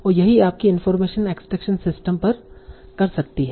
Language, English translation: Hindi, And that is what your information exchange system can do